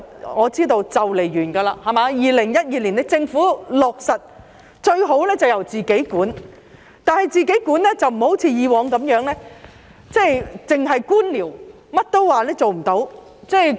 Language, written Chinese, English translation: Cantonese, 我知道租約即將完結，政府是於2012年批出，其實最好是由政府自己管理，但不要像以往一樣，只是官僚，甚麼都說做不到。, In fact the best solution is to have it managed by the Government but it should not merely follow the bureaucratic way as it did before by saying that nothing could be done